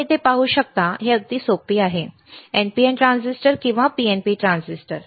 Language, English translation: Marathi, You can see here, it is very easy, right NPN transistor or PNP transistor, right NPN, PNP transistor